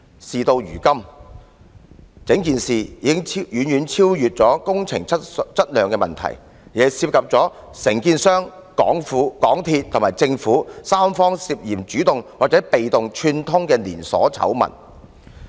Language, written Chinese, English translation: Cantonese, 事到如今，整件事已經遠遠不止是工程質量的問題，而是涉及承建商、港鐵公司和政府三方涉嫌主動或被動串通的連鎖醜聞。, Now the entire incident is not merely confined to the quality of works . It is a series of scandals involving collusion in an active or passive manner among the contractor MTRCL and the Government